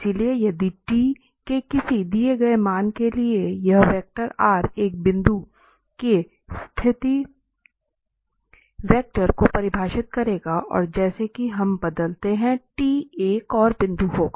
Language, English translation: Hindi, So, if for a given value of t this r vector will define a position vector of a point and as we vary the t there will be another point and so on